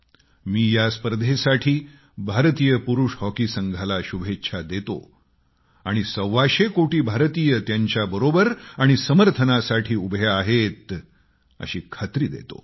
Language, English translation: Marathi, I convey my best wishes to our Men's Hockey Team for this tournament and assure them that 125 crore Indians are supporting them